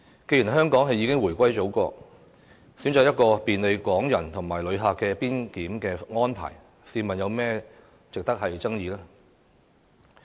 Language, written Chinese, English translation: Cantonese, 既然香港已回歸中國，選擇便利港人和旅客的邊檢安排，試問又有甚麼值得爭議？, As Hong Kong has returned to China what is so controversial about implementing a border control arrangement that provides convenience to Hong Kong people and passengers?